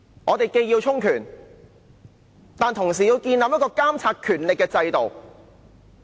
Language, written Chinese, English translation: Cantonese, 我們既要充權，但同時要建立一個監察權力的制度。, We want empowerment but at the same time we need a system to monitor the powers